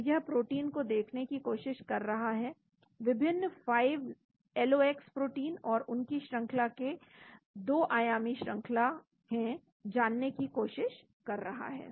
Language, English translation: Hindi, So it is trying to look at proteins, different 5LOX proteins and trying to get their sequences that is the 2 dimensional sequences